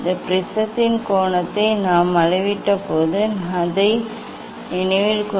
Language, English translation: Tamil, Recall that when we measured this angle of prism